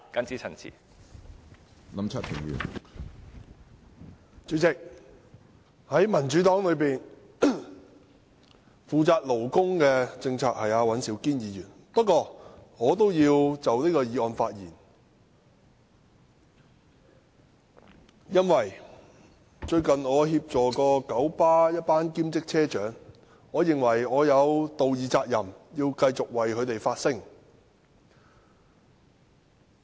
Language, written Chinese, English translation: Cantonese, 主席，在民主黨內負責勞工政策的是尹兆堅議員，不過我也要就這項議案發言，因為我最近曾協助九龍巴士有限公司一群兼職車長，我認為我有道義責任，繼續為他們發聲。, President in the Democratic Party Mr Andrew WAN is responsible for labour policies but I also wish to speak on this motion because recently I have assisted a group of part - time bus captains of the Kowloon Motor Bus Company 1933 Limited KMB . I think I have the moral responsibility to continue to speak up for them